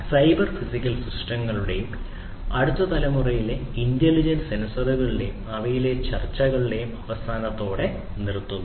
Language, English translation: Malayalam, So, with this we come to an end of cyber physical systems and next generation intelligent sensors, discussions on them